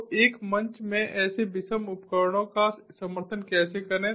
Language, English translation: Hindi, so how to support such heterogeneous devices in a single platform